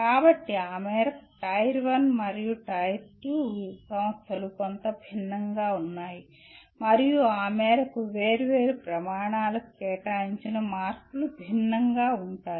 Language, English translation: Telugu, So to that extent Tier 1 and Tier 2 institutions are somewhat different and to that extent the marks that are allocated to different criteria, they are different